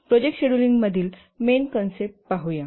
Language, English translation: Marathi, Let's look at the main concepts in project scheduling